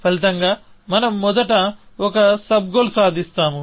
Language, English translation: Telugu, Then, we will achieve the next sub goal